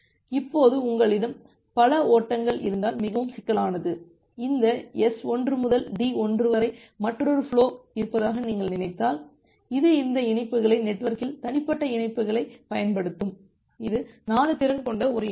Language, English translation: Tamil, Now, the scenario get more complicated if you have multiple flows, if you think of that there is another flow from this S 1 to D 1, that will also use these links this individual links in the network, you can think of that there is a link from here to here with the capacity of 4